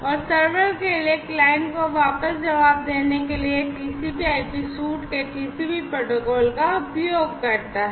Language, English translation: Hindi, And for the server to respond back to the client done on using the TCP protocol of the TCP/IP suite